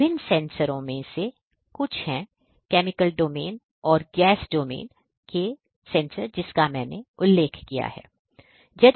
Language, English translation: Hindi, So these are some of these different sensors, the chemical domain and the gas domain that I have mentioned